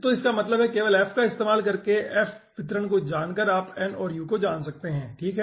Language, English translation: Hindi, only by knowing the distribution f you can find out n and u